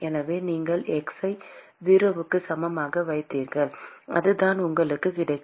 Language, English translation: Tamil, So, you put x equal to 0, that is what you would get